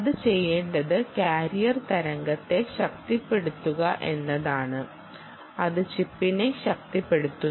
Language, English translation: Malayalam, so what it will have to do, it will have to power the carrier wave, will have to power carrier wave powers the chip